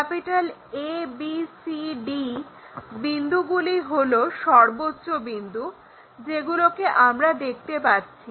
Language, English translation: Bengali, ABCD is the highest points what we can see and these are visible